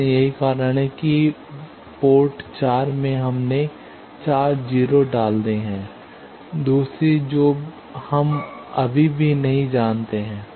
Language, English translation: Hindi, So, that is why in the 4 ports we have put the 4 0's other we still do not know